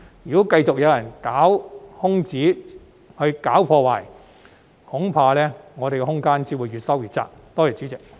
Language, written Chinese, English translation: Cantonese, 如果繼續有人鑽空子、搞破壞，恐怕我們的空間只會越收越窄。, If there are continuous attempts to exploit the loopholes and wreak havoc I am afraid that the latitude that we now have will only become narrower and narrower